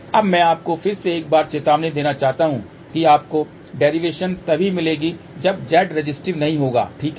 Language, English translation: Hindi, Now, I just want to again warn you one more time this you will get the derivation only when Z is not resistive, ok